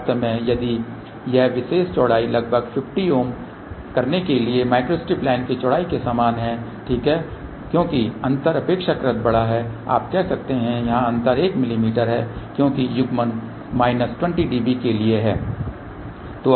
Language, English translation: Hindi, In fact, if this particular width is almost same as a micro strip line width 450 ohm ok, because the gap is relatively large you can say here the gap is 1 mm because the coupling is for minus 20 db